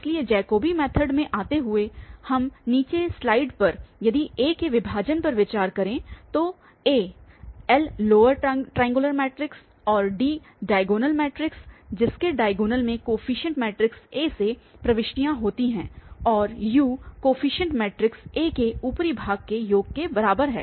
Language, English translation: Hindi, So, coming to the Jacobi method, we consider the following strip, the splitting that if we write A as L the lower triangular matrix plus D the diagonal matrix having entries in the diagonal from the coefficient matrix A and U is the upper part of the coefficient matrix